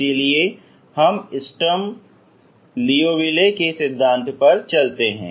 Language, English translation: Hindi, So this we move on to Sturm Liouville theory